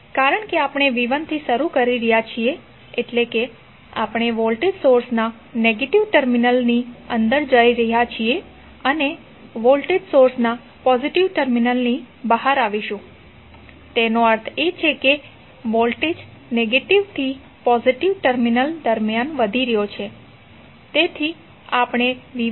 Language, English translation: Gujarati, Let us start from v¬1¬ because since we are starting from v¬1¬ that is we are going inside the negative terminal of voltage source and coming out of the positive terminal of voltage source; it means that the voltage is rising up during negative to positive terminal so we represent it like minus of v¬1¬